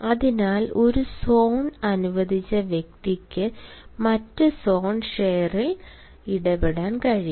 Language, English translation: Malayalam, hence, person allowed one zone cannot interfere with the other zone